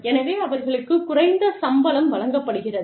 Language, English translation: Tamil, So, they are paid, lower salaries